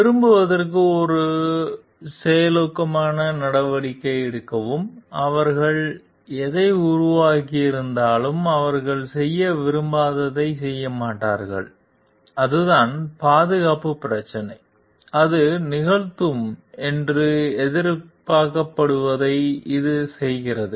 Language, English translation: Tamil, And to like take a proactive measure to see the system whatever they have developed does not do what they don t wanted to do and that is the safety issue and it performs what it is expected to perform